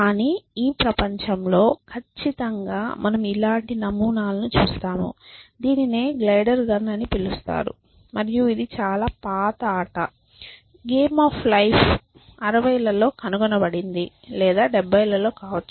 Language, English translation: Telugu, But in this world certainly we see patterns like this; this is called the glider gun and this is the very old game, game of life was invented in 60’s or something like that essentially or may be 70’s